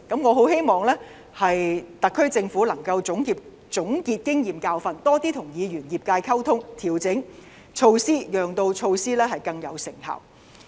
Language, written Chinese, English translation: Cantonese, 我希望特區政府能夠總結經驗和教訓，多些跟議員和業界溝通，調整措施，讓措施更有成效。, I hope the SAR Government can consolidate the experience and learn from the lesson by communicating more with Legislative Council Members and the business sector and adjusting the relevant measures with a view to making them more effective